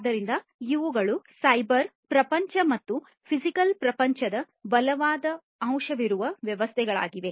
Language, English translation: Kannada, So, these are systems where there is a strong component of the cyber world and the physical world